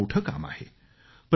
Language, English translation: Marathi, This is an enormous task